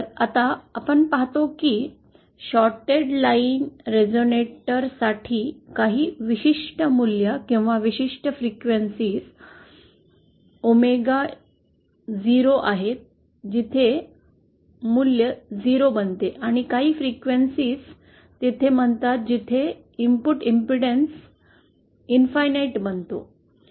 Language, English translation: Marathi, Now, what we see is that for the shorted line resonator there are some particular values or certain frequencies omega 0 where the value becomes 0 and certain frequencies say here where the input impedance becomes infinite